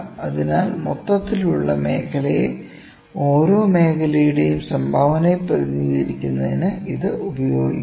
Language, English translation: Malayalam, So, this is used to represent the contribution of each sector to the overall area, ok